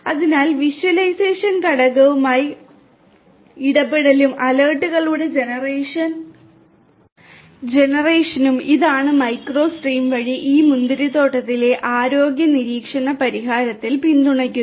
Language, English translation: Malayalam, And so interaction with the visualization component and generation of alerts this is what is supported in this vineyard health monitoring solution by micro stream